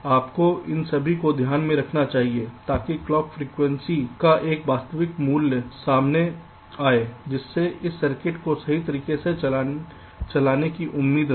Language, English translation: Hindi, ok, you have to take all of them into account so as to come up with the realistic value of clock frequency which is expected to run this circuit in a correct way